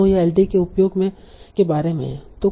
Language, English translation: Hindi, So that is about using supervised LTA